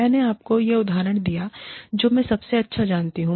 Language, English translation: Hindi, I have given you, the example of something, I know best